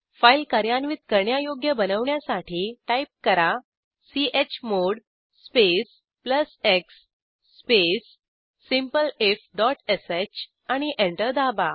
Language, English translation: Marathi, To make the file executable, type: chmod space plus x space simpleif.sh and Press Enter